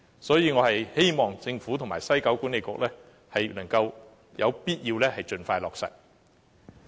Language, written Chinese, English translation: Cantonese, 所以，我希望政府及西九文化區管理局能夠盡快落實，這亦是有必要的。, Therefore I hope the Government and the West Kowloon Cultural District Authority can materialize their construction expeditiously . This is also necessary